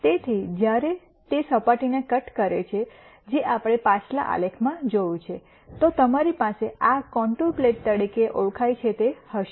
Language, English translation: Gujarati, So, when that cuts the surface that we saw in the previous graph then you have what are called these contour plots